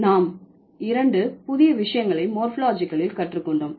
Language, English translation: Tamil, So, yes, we just learned two new things in morphology